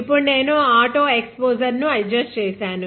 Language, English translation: Telugu, Now, I have adjusted the auto exposure